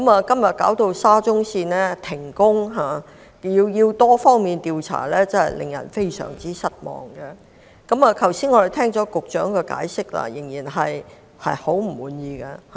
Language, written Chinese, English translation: Cantonese, 今天沙中線須停工及進行多方面調查，真的令人感到非常失望，而我們剛才聽到局長的解釋仍然令人很不滿意。, Today it is really disappointing to see that some works of SCL have to be suspended for an extensive inquiry and the explanation we heard from the Secretary just now is still far from satisfactory